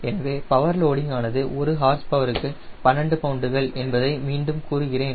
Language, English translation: Tamil, so i repeat, the power loading is twelve pounds per horsepower